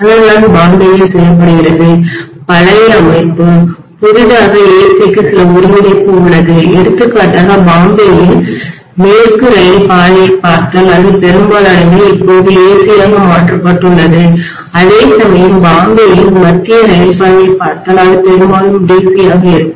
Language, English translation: Tamil, That is what is done in Bombay, the old system, newly there have been some convergence to AC, for example if you look at the Western Railway route in Bombay that is most of it is now converted into AC whereas if you look at the Central Railway route in Bombay that is mostly in DC, okay